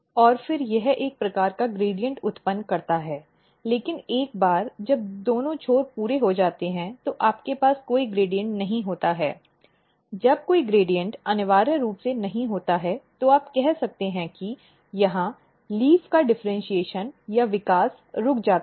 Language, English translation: Hindi, And then it generates a kind of gradient, but once this gradient is totally so when both the ends are completed then you have no gradient, when there is no gradient essentially you can say that here the differentiation or growth of the leaf stops